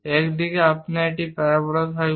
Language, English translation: Bengali, This is the way we construct a parabola